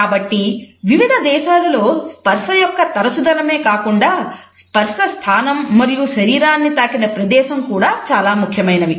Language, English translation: Telugu, So, we find that in various countries it is not only the frequency of touch, but also the position of touch, the point of the body where a human touch has been exercised also matters a lot